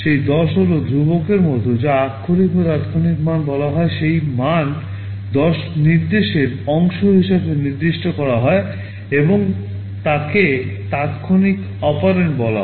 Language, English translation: Bengali, That 10 is like a constant that is called a literal or an immediate value, that value 10 is specified as part of the instruction and is called immediate operand